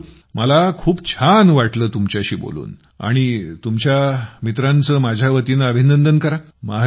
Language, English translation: Marathi, Mayur, I enjoyed talking to you and do congratulate your friends on my behalf…